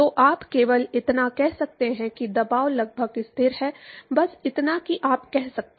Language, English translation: Hindi, So, all you can say that is only that the pressure is approximately constant that is all you can say